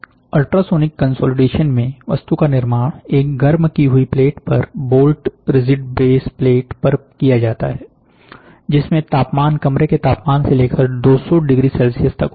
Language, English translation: Hindi, In ultrasonic consolidation, the object is built up on a rigidly held base plate bolted on to a heated platen, with temperatures ranging from room temperature to approximately 200 degree Celsius